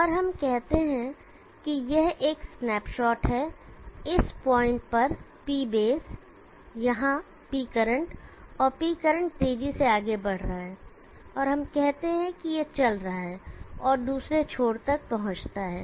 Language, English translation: Hindi, And let us say this is one snapshot P bases at this point, P current here and the P current is moving fast, and let us say it is moving and reaches the other end